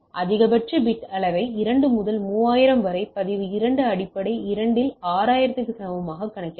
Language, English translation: Tamil, The maximum bit level can be calculated as 2 into 3000 into log 2 base 2 equal to 6000 right